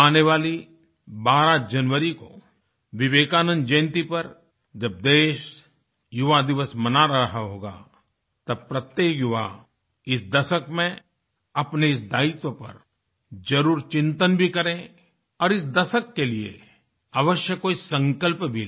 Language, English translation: Hindi, On the birth anniversary of Vivekanand on the 12th of January, on the occasion of National Youth Day, every young person should give a thought to this responsibility, taking on resolve or the other for this decade